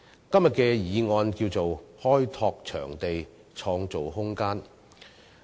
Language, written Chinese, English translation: Cantonese, 今天的議案名為"開拓場地，創造空間"。, Today the motion is titled Developing venues and creating room